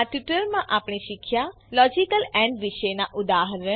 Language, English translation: Gujarati, In this tutorial we learnt about Logical AND eg